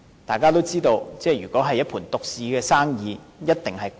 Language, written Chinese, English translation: Cantonese, 大家也知道，如果是一盤獨市生意，價格一定昂貴。, We all know that a monopolized business surely levies expensive prices